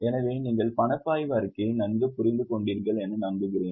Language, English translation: Tamil, So, I hope you have overall understood cash flow statement